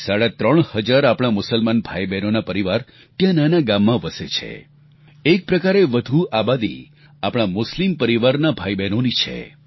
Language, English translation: Gujarati, About three and a half thousand families of our Muslim brethren reside in that little village and in a way, form a majority of its population